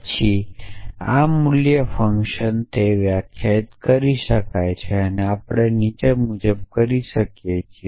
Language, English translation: Gujarati, Then can be defined this value function and that we can do as follows